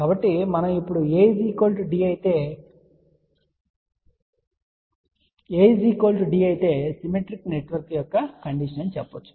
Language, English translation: Telugu, So, we can now, say if A is equal to D, if A is equal to D and we have seen that is the condition for symmetrical network